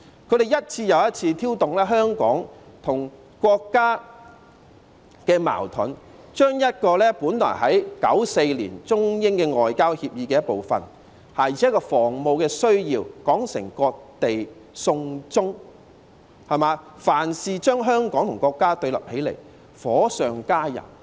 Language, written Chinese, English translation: Cantonese, 他們一次又一次挑動香港與國家的矛盾，將本來在1994年中英外交協議的一部分，而且是有防務需要的安排說成"割地送中"，凡事將香港與國家對立起來，火上加油。, They have over and over again incited conflicts between Hong Kong and the State and an arrangement made for defence needs as provided for under a Sino - British agreement signed in 1994 is described by them as cessation of land to China